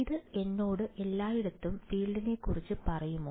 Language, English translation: Malayalam, Does this tell me the field everywhere